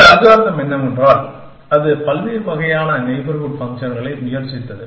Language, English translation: Tamil, And what this algorithm did was that, it tried out a variety of neighborhood functions